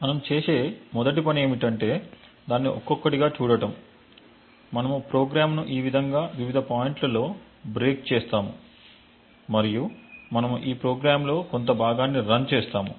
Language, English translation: Telugu, The first thing we would do so what we will do is look at it one by one, we would break the program in various points like this and we will just run part of this program